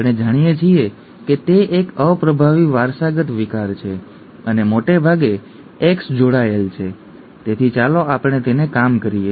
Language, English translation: Gujarati, We know that it is a recessively inherited disorder and most likely X linked so let us work it out